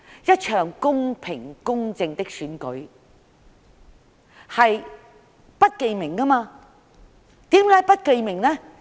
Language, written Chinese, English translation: Cantonese, 一場公平、公正的選舉是不記名的，為甚麼？, In a fair and just election all votes are by secret ballot . Why?